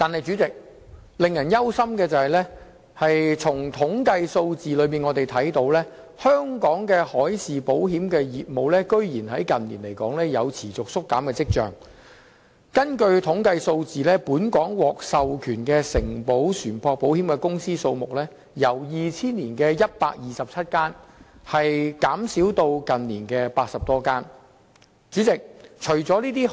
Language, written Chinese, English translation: Cantonese, 主席，令人擔憂的是，從統計數字可見，香港的海事保險業務近年有持續縮減的跡象，本港獲授權承保船舶保險的公司數目由2000年的127間，下跌至近年的80多間。, President it is worrisome that the marine insurance business in Hong Kong is showing signs of continuous shrinkage as indicated by statistics . The number of authorized marine insurance companies in Hong Kong has fallen from 127 in 2000 to 80 - odd in recent years